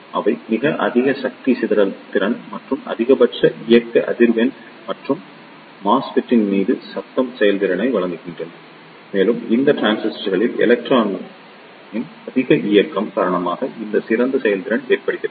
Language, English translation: Tamil, They provides very high power dissipation capability and maximum operating frequency and the noise performance over the MESFET and this better performance is due to the higher mobility of electron in these transistors